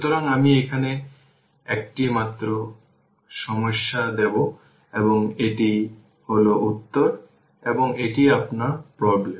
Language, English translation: Bengali, So, one only one problem here I will giving here and this is the answer and this is your problem right